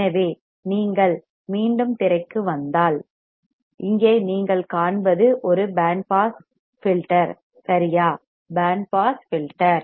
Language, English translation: Tamil, So, if you come back to the screen and what you see here is a band pass filter correct band pass filter